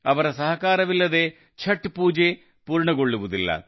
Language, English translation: Kannada, Without their cooperation, the worship of Chhath, simply cannot be completed